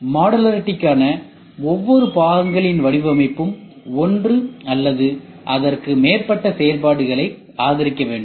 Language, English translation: Tamil, Each component design for modularity is supposed to support one or more function ok